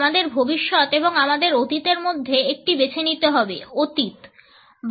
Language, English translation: Bengali, We have to choose between our future and our past past; past; past